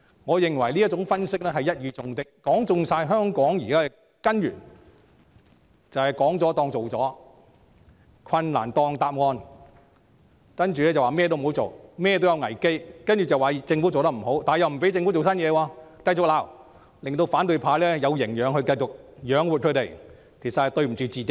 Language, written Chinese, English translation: Cantonese, 我認為這種分析一語中的，說中香港目前情況的根源，即"說了當做了"、"困難當答案"，然後便說甚麼也不要做、甚麼也有危機，再指責政府做得不好，但又不許政府推出新措施。, I think this analysis points to the root cause of the current situation in Hong Kong ie . the opposition camp think that something said is something done and difficulties are the answer . Then they will say do not do anything for there will be crises